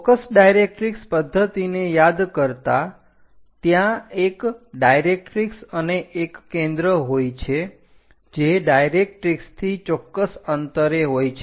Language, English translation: Gujarati, Just to recall in focus directrix method, there is a directrix and focus is away from this directrix at certain distance